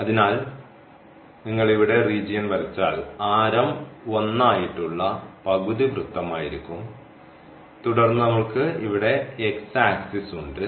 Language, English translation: Malayalam, So, if you draw the region here that will be this half circle with radius 1 and then we have here the x axis